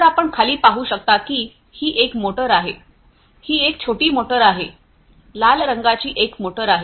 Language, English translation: Marathi, So, underneath as you can see this is a motor this is the small one, the red colored one is a motor